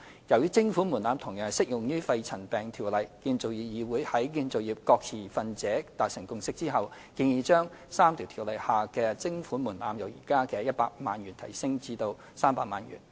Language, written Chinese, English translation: Cantonese, 由於徵款門檻同樣適用於《條例》，議會在建造業各持份者達成共識後，建議將3項條例下的徵款門檻由現時的100萬元提高至300萬元。, As the same levy threshold also applies to PMCO CIC recommended the levy thresholds under the three ordinances be raised from 1 million to 3 million after having reached consensus among stakeholders of the construction industry